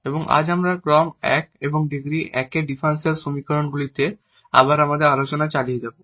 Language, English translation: Bengali, And today we will continue our discussion again on differential equations of order 1 and degree 1